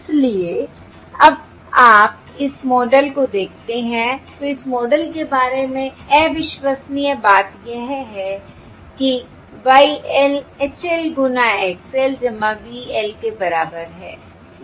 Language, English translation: Hindi, Therefore, now, if you can look at this model, the incredible thing across this about this model, YL equals HL, XL plus VL